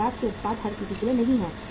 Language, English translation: Hindi, Adidas products are not for everybody